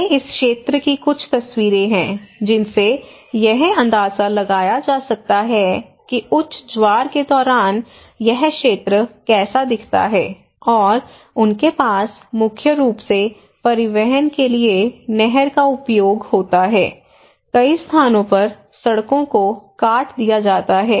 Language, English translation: Hindi, Now, these are some of the pictures of the area to get a glimpse; get an idea that how this area looks like, this is during high tide, and they have use canal for transportations mainly, many places the roads are disconnected and during the rainy season, so this is really to give you a glance of the area